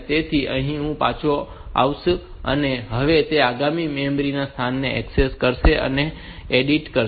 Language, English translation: Gujarati, So, it will come back here now it will access the next memory location and edit